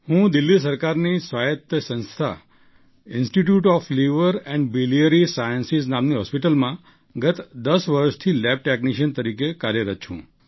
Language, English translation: Gujarati, I have been working as a lab technician for the last 10 years in the hospital called Institute of Liver and Biliary Sciences, an autonomus institution, under the Government of Delhi